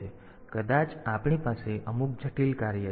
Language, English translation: Gujarati, So, maybe we have to have some complex function